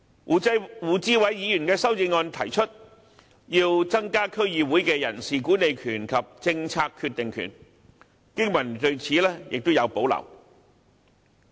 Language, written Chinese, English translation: Cantonese, 胡志偉議員的修正案提出增加區議會的人事管理權及政策決定權，經民聯對此有保留。, Mr WU Chi - wai proposed in his amendment that the powers of staff management and making policy decisions be enhanced for DCs